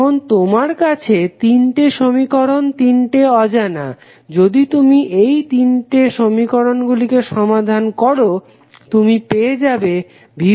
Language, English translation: Bengali, So, now you have three equations, three unknown if you solve all those three equations you will get the simply the value of V 1, V 2 and V 3